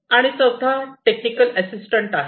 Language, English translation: Marathi, And the fourth one is the technical assistance